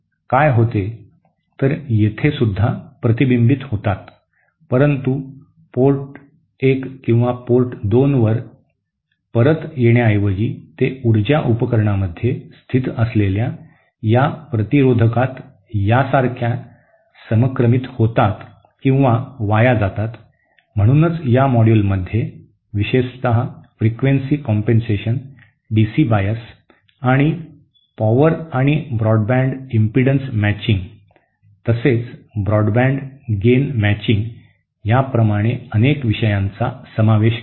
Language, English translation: Marathi, What happens is that here also reflections take place, but instead of coming back to the Port 1 or Port 2, they are kind of synced or wasted away in these in this resistant that is present in the power device, so in this but module will covered a number of topics especially on frequency compensation DC bias and also power and also broad band impedance matching as well as broadband gain matching